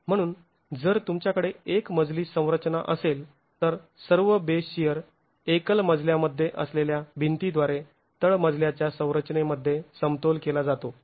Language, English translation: Marathi, So, if you have a single story structure, all the base share is equilibrated by the walls that are present in the single story, in the ground story structure itself